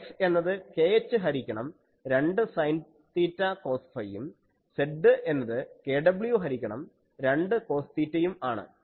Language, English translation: Malayalam, And what is X, X is k h by 2 sin theta cos phi and Z, Z is kw by 2 cos theta